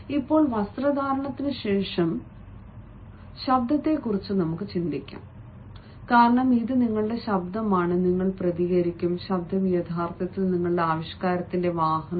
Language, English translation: Malayalam, it is always better to think about the voice, because it is your voice which you will respond, and voice is actually a vehicle of your expression